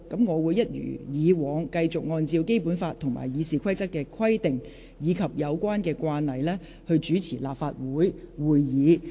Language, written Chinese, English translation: Cantonese, 我會一如既往，繼續按照《基本法》及《議事規則》的規定，以及有關的慣例，主持立法會會議。, I will as always continue to act in accordance with the requirements of the Basic Law Rules of Procedure and the relevant standing practices when I preside over meetings of this Council